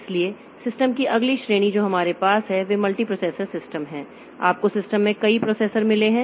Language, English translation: Hindi, So, next category of systems that we have so they are multiprocessor systems so we have got multiple processors in the system